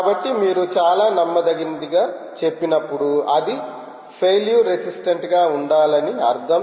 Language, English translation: Telugu, so when you say highly reliable, you actually mean it should be failure resistant